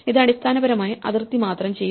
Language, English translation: Malayalam, It will do basically only the boundary